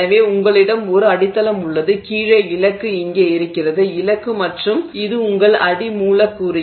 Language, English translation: Tamil, So, you have a substrate and this is where your target is below is the target and this is your substrate